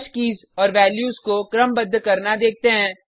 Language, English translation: Hindi, Let us look at sorting of a hash keys and values